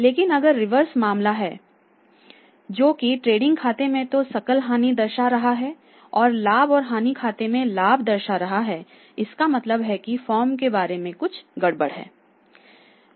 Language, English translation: Hindi, But if the reverse is the case that the trading account is reporting a loss and net profit and loss account is reporting a profit then you can see that the days of the former member